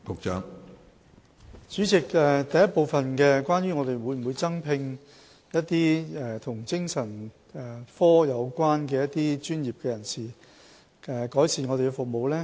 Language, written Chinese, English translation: Cantonese, 主席，問題的第一部分是關於當局會否增聘一些與精神科有關的專業人士，以改善服務。, President the first part of the supplementary question concerns whether the authorities will recruit additional psychiatric personnel to improve the services